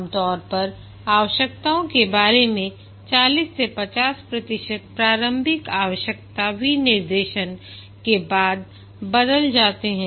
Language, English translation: Hindi, Typically about 40 to 50% of the requirements change after the initial requirement specification